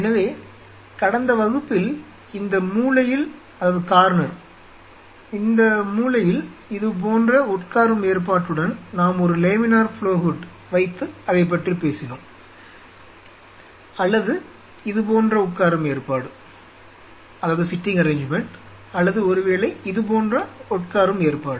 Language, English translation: Tamil, So, in the last class, we talked about that in this corner if we put a laminar flow hood with a sitting arrangement like this or sitting arrangement like this or maybe a sitting arrangement like this we cut the